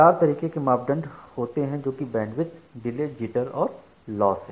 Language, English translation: Hindi, There are four such parameters the Bandwidth, Delay, Jitter and Loss